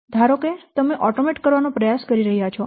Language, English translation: Gujarati, Suppose you are trying to automate